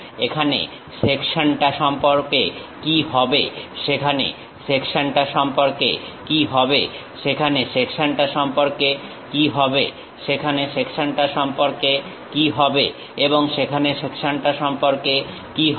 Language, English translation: Bengali, What about the section here, what about the section there, what about the section there, what about the section there and what about the section there